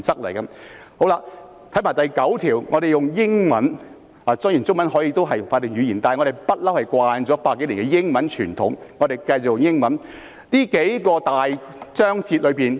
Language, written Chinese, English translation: Cantonese, 還有第九條，我們看看英文，雖然中文也是法定語言，但我們習慣了百多年的英文傳統，所以請大家看看英文版本。, There is also Article 9 . Let us look at the English text . Chinese is also our official language but we have got accustomed to the practice of using English over a century